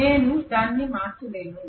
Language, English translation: Telugu, I just cannot change it